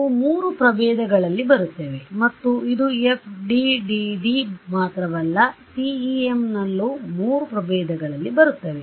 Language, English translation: Kannada, They come in three varieties and this is true of CEM not just FDTD ok